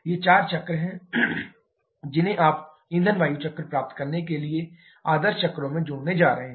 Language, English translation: Hindi, These are the four cycles you are going to add on the ideal cycles to get the fuel air cycle